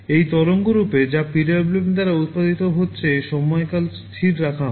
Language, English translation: Bengali, In this waveform which is being generated by PWM the time period is kept constant